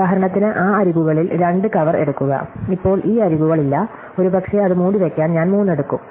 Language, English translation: Malayalam, So, for instance I take a 2 cover those edges, now these edges are not there, maybe I take 3 to cover it